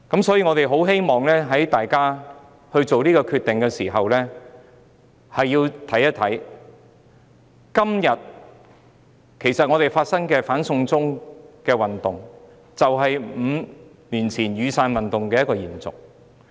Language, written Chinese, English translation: Cantonese, 所以，希望議員在作出這個決定的時候，能看一看今天發生的"反送中"運動，這正是5年前雨傘運動的延續。, Hence when making a voting decision on this motion I hope Members would draw reference from the anti - extradition to China movement today because it is a continuation of the Umbrella Movement that took place five years ago